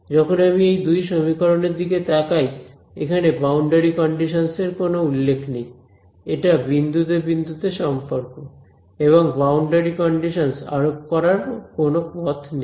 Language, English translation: Bengali, When I look at just these two equations over here these two equations there is no mention of boundary conditions right; this is a point by point relation over here and there is no way for me to impose the boundary condition